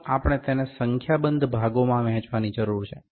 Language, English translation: Gujarati, First we need to divide into number of parts